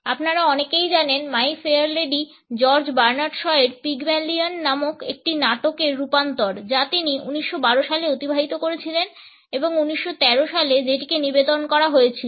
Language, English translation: Bengali, As many of you would know My Fair Lady is an adaptation of a play by George Bernard Shaw his play Pygmalion which he had spent in 1912 and which was a state in 1913